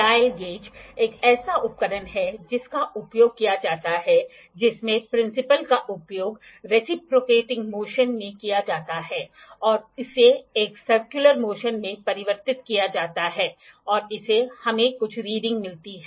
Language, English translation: Hindi, Dial gauge is an instrument that is used in which the principle is used at the reciprocating motion is converted in to a circular motion and that gives us some reading